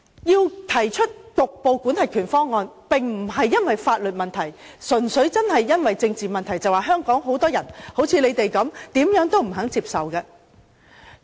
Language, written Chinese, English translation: Cantonese, 我提出局部管轄權方案，並非基於法律問題，而是純粹由於政治問題，因為香港有很多人，就好像反對派般怎樣也不願接受的。, I proposed the preclearance option to them not from a legal point of view but rather purely from a political point of view . Many people in Hong Kong like the opposition are very headstrong not to accept any government proposal